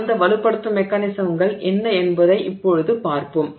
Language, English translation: Tamil, So, we will now see what are those strengthening mechanisms